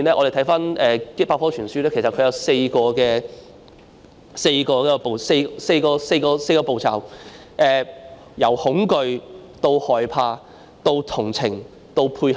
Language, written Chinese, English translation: Cantonese, 根據百科全書所述，斯德哥爾摩症候群有4個步驟：由恐懼、害怕、同情，到配合。, According to the encyclopaedia the Stockholm Syndrome consists of four stages from fear panic sympathy to cooperation